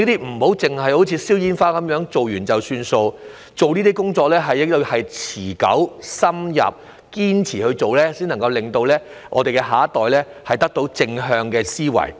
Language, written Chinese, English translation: Cantonese, 我期望這些工作不會如放煙火般做過便算，這些工作要持久、深入、堅持，才能令我們的下一代建立正向的思維。, I expect that such work will not be just a flash in a pan just like fireworks . Such work has to be enduring pervading and persistent to instil positive thinking among our next generation